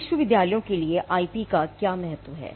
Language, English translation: Hindi, Now, what is the importance of IP for universities